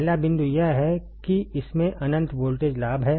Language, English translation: Hindi, First point is it has infinite voltage gain; it has infinite voltage gain